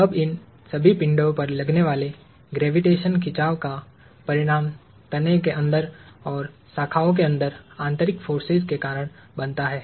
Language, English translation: Hindi, Now, the result of gravitational pull acting on all of these objects causes internal forces inside the trunk and inside the branches